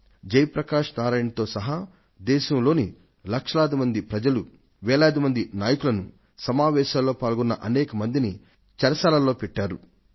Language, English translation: Telugu, Lakhs of people along with Jai Prakash Narain, thousands of leaders, many organisations were put behind bars